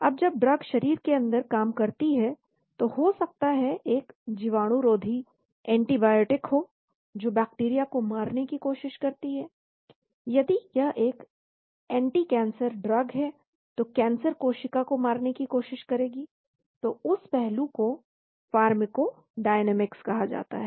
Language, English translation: Hindi, Now that drug acts inside the body maybe an antibacterial, antibiotic tries to kill bacteria, tries to kill the cancer cell if it is an anticancer drug, so that aspect is called pharmacodynamics